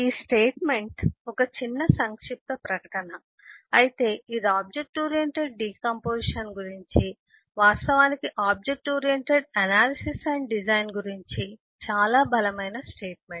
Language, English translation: Telugu, this is this statement is a simple, short statement, but this is a very strong statement about object oriented decomposition, in fact, about object oriented analysis and design